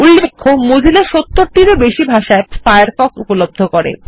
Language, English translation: Bengali, Notice that Mozilla offers Firefox in over 70 languages